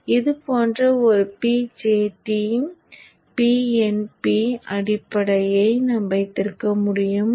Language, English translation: Tamil, So we could have a BJT something like this, PNP based